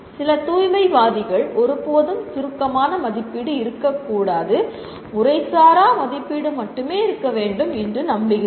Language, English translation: Tamil, Some purists believe there should never be summative assessment, there should only be formative assessment